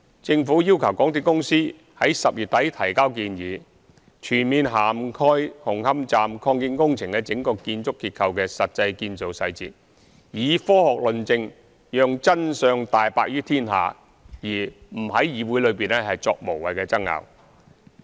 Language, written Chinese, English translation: Cantonese, 政府要求港鐵公司在10月底提交建議，全面涵蓋紅磡站擴建工程的整個建築結構的實際建造細節，以科學論證讓真相大白於天下，而不在議會內作無謂爭拗。, The MTRCL is required to submit a proposal at the end of October covering in full the actual construction details of the entire architectural structure of the Hung Hom Station Extension . This is meant for revealing the truth by means of scientific argumentation instead of engaging in meaningless argument at the Council